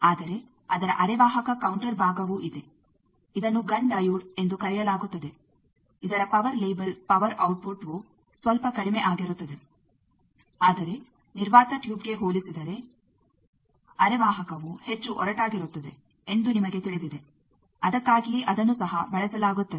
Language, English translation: Kannada, But there is also a semiconductor counter part of that which is called Gunn diode whose power label power output is a bit low, but you know compared to a vacuum tube semiconductor is more rugged that is why that also is used